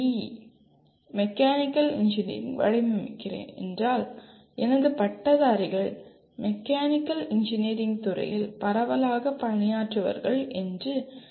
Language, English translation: Tamil, in Mechanical Engineering, I am expecting my graduates will be working in broadly in the mechanical engineering field